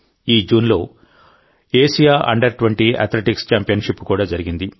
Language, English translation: Telugu, The Asian under Twenty Athletics Championship has also been held this June